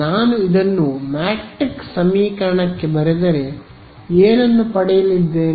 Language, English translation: Kannada, So, if I write this out into a matrix equation what will I get I am going to get something of the following form